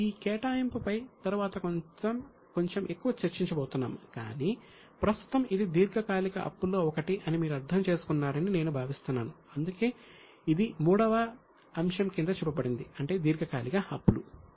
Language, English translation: Telugu, Later on we are going to discuss a bit more on provision but right now I think you would have generally understood that this is one of the long term liabilities that is why it is shown under item 3 that that is non current liabilities